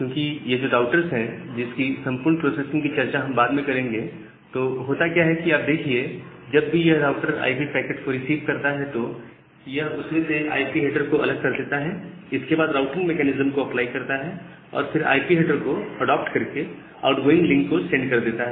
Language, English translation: Hindi, Because, in the router if you later on will discuss the entire processing of the routers you will see that whenever it receives an IP packet, it takes the IP header out, applies the routing mechanism then again adopt the IP header and send it to the outgoing link, because that IP layer processing is done at the router level